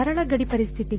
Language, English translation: Kannada, Simple boundary conditions